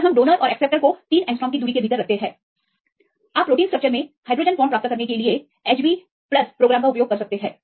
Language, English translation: Hindi, So, we put the donor and the acceptor within the distance of 3 angstrom, you can use this program HBPLUS to get the hydrogen bonds in protein structures